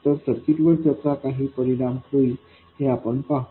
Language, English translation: Marathi, They will have some effect on the circuit